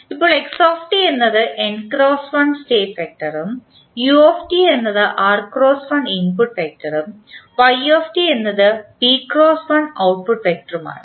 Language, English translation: Malayalam, Now, x is n cross 1 state vector, u t is r cross 1 input vector and y t is p cross 1 output vector and A, B, C, D are the coefficient matrices with appropriate dimensions